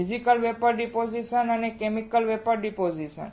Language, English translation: Gujarati, Physical Vapor Deposition and Chemical Vapor Deposition